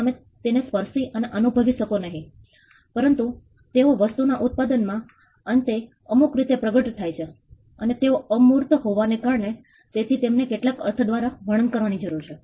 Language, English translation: Gujarati, You cannot touch and feel them, but they manifest in the end product in some way and because they are intangible, they need to be described by some means